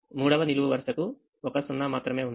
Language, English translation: Telugu, the third row has only one zero